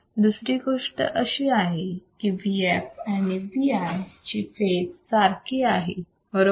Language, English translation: Marathi, Second thing the phase of V f is same as V i right